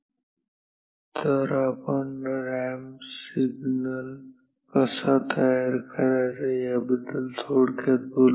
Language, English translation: Marathi, But, we will talk briefly about at least how the ramp signal is generated